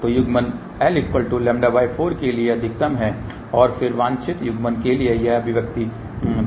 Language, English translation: Hindi, So, coupling is maximum for l equal to lambda by 4 and then for desired coupling this is the expression given ok